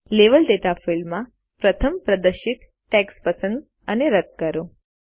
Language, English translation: Gujarati, In the Level Data field, first select and delete the text displayed